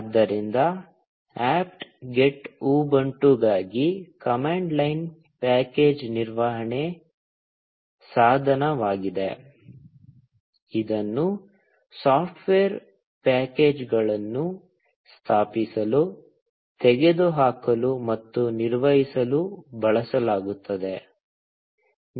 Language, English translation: Kannada, So, apt get is a command line package management tool for Ubuntu, which is used to install, remove, and manage software packages